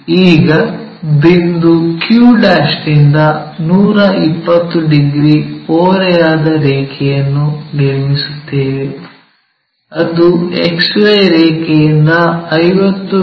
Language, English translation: Kannada, Now, from point q' 120 degrees to XY such that it meets a horizontal line at 50 mm above XY line